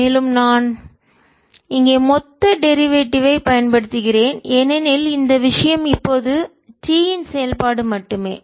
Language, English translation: Tamil, and i am using a total derivative here because this thing is not the function of t only now we have to calculate